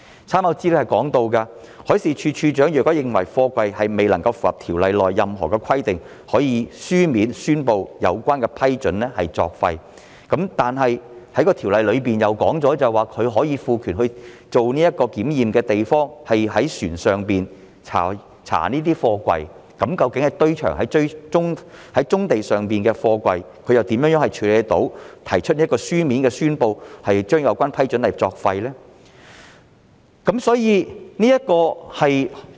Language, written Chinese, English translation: Cantonese, 參考資料提到，海事處處長若認為有貨櫃未能符合條例內任何規定，可以書面宣布有關批准作廢，但是條例又訂明可以賦權以船上作為檢驗的地方，在船上檢查貨櫃，那麼對於棕地上的貨櫃，如何可以書面宣布有關批准作廢呢？, According to the reference material DM could declare in writing that an approval is no longer valid if the container does not comply with any of the requirements of the Ordinance but the Ordinance provides for the power to inspect containers on board vessels . Then in the case of containers on brownfields how can DM declare that an approval is no longer valid?